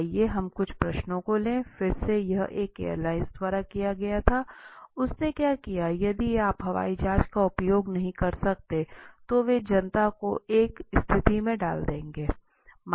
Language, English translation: Hindi, Let us take this few questions, again this was done by one of the airlines right, what it did what would it be like if you could no longer use airplanes so they are put the public at large into a situation